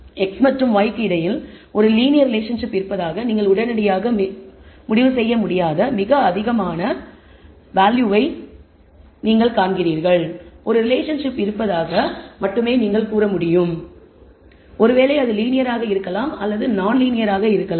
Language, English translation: Tamil, You find it is a very high correlation coefficient you cannot immediately conclude there is a linear relationship between x and y, you can only say there is a relationship perhaps it is linear may be it is even non linear we have to explore further